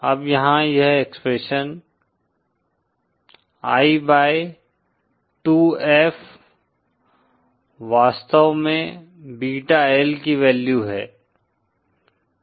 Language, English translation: Hindi, Now here this expression I by 2F upon F 0 is actually the value of beta L